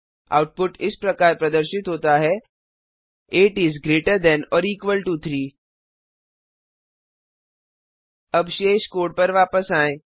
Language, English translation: Hindi, The output is displayed: 8 is greater than or equal to 3 Now Coming back to rest of the code